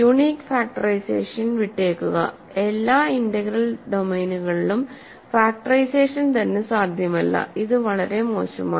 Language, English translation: Malayalam, Leave alone unique factorization, factorization itself is not possible in all integral domains; it is too bad right